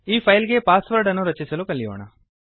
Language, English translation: Kannada, First let us learn to password protect this file